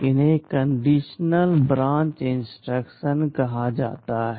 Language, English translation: Hindi, These are called conditional branch instruction